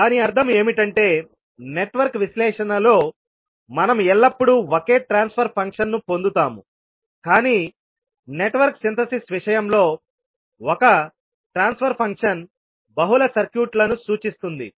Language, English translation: Telugu, Means for Network Analysis we will always get one single transfer function but in case of Network Synthesis one transfer function can represent multiple circuits